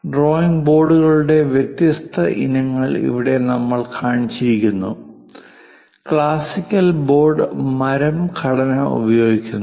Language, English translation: Malayalam, Here we have shown different variety of drawing boards; the classical one is using a wooden structure